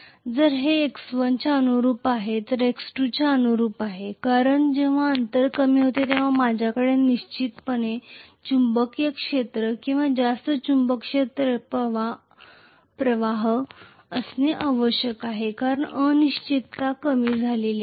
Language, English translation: Marathi, So this is corresponding to x 1 this is corresponding to x 2 because when the distance decreases I should have definitely more magnetic field or more magnetic flux being there in the magnetic circuit for sure because the reluctance has decreased, right